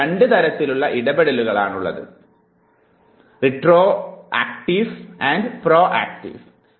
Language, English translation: Malayalam, There are two types of interferences; it could be retroactive or it could be proactive